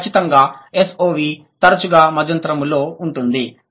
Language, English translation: Telugu, And definitely S O V is infrequent intermediate